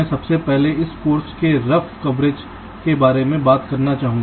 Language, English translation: Hindi, i would ah first like to talk about the rough coverage of this course